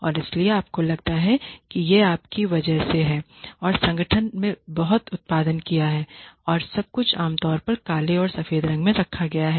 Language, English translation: Hindi, And so you feel that it is because of you that the organization has produced so much and everything is laid out in black and white usually